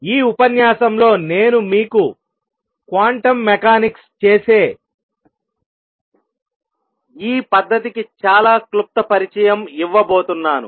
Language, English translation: Telugu, What I am going to give you in this lecture is a very brief introduction to this method of doing quantum mechanics